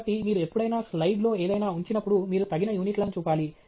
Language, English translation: Telugu, So, any time you put up something on a slide, you should put up the appropriate units